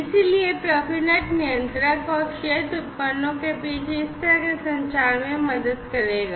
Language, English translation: Hindi, So, profinet will help in this kind of communication between the controller and the field devices